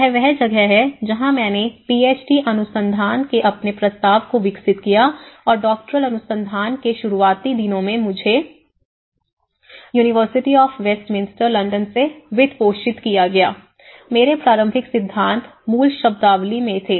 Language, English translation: Hindi, D research and in the very early days of my Doctoral research which I got funded from the same University of Westminster London, my initial theories were in the basic terminology you know